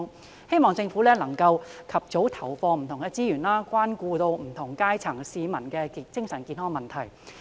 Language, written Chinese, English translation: Cantonese, 我希望政府能夠及早投放資源，關顧不同階層市民的精神健康問題。, I hope the Government can put in resources as early as possible to care about the mental health of citizens from different strata of society